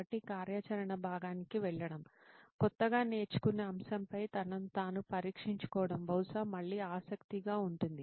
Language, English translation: Telugu, So moving on to the after the activity part, testing himself on the newly learnt topic, probably again curious